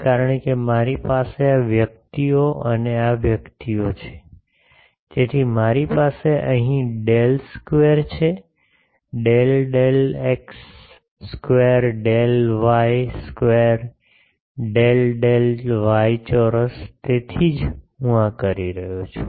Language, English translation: Gujarati, because I have this persons and this persons, so I have del square here del del x square del del y square del del y square that is why I am doing this